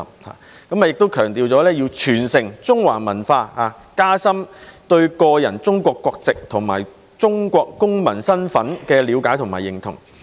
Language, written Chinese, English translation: Cantonese, 再者，亦會強調傳承中華文化，讓學生加深對個人中國國籍及中國公民身份的了解和認同。, Also it will emphasize inheriting Chinese culture deepening students understanding and sense of identity of individuals with Chinese nationality and as Chinese citizens